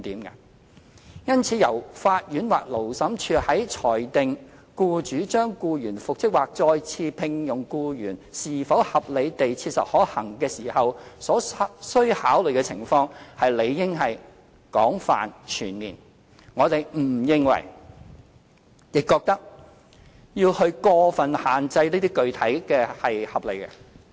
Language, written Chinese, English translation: Cantonese, 因此，由法院或勞審處於裁定僱主將僱員復職或再次聘用僱員是否合理地切實可行時所須考慮的情況，理應廣泛全面，我們認為過分具體的要求並不合理。, Hence the circumstances that the court or Labour Tribunal should take into consideration in deciding whether it is reasonably practicable for the employer to reinstate or re - engage the employee should be extensive and comprehensive . We consider it unreasonable to set down excessively specific conditions